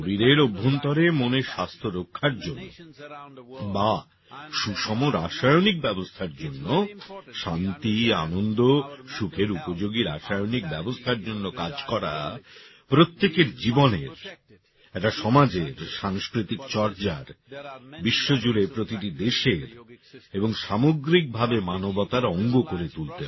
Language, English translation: Bengali, Working for an internal mental health situation or working for an equanimous chemistry within ourselves, a chemistry of peacefulness, joyfulness, blissfulness is something that has to be brought into every individual's life; into the cultural life of a society and the Nations around the world and the entire humanity